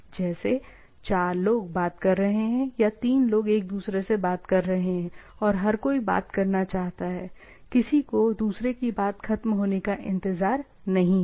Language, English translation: Hindi, Right, like 4 person talking or 3 person talking to each other and everybody wants to talk, nobody is waiting for others to the thing